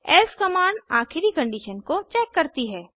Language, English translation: Hindi, else command checks the final condition